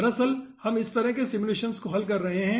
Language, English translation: Hindi, actually, we are solving this kind of simulations